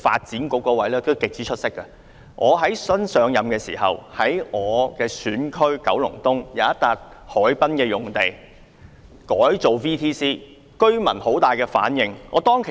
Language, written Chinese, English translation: Cantonese, 在我最初擔任議員的時候，在我的選區九龍東有一幅海濱用地上將會興建 VTC 校舍，居民對此反應強烈。, At the time when I first became a Member the VTC campus planned to be built on a waterfront site in Kowloon East which is my constituency provoked a strong response from the residents